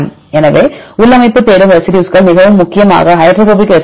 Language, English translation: Tamil, So, interior seeking residues are mainly hydrophobic residues